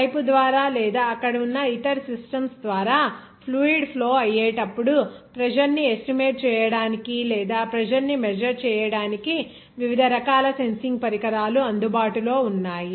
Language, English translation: Telugu, There are various types of pressure sensing devices are available to estimate the pressure or measure the pressure whenever fluid will be flowing through the pipe or through the other systems there